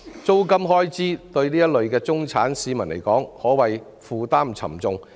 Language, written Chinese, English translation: Cantonese, 租金開支對此類中產市民而言，可謂負擔沉重。, The rent expenses can be said to be a heavy burden for this type of middle - class citizens